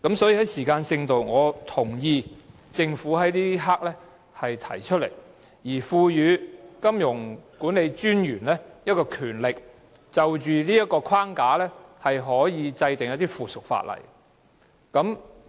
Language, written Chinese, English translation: Cantonese, 所以，在時間性上，我同意政府此刻提出《條例草案》，賦予金融管理專員權力就這框架制定附屬法例。, Hence in terms of timing I agree with the Government to propose the Bill now and empower MA to make subsidiary legislation in accordance with that framework